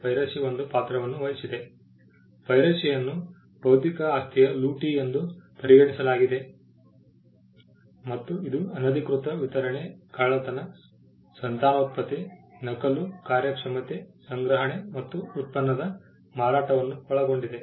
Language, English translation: Kannada, Piracy was regarded as plundering of intellectual property and it included unauthorised distribution, theft, reproduction, copying, performance, storage and sale of the product